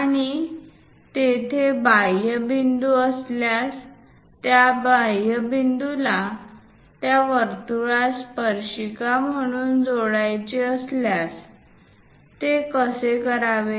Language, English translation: Marathi, And also if an exterior point is there, connecting that exterior point as a tangent to that circle, how to do that